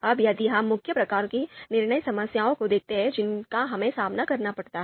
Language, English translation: Hindi, Now, if we look at the main types of decision problems that we have to face